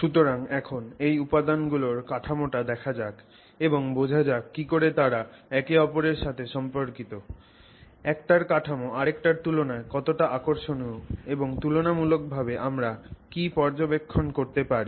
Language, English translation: Bengali, So now let's look at the structure, structure of these materials and try to understand how they are related to each other, what is fascinating about one structure relative to the other structure, what observations we can make in comparison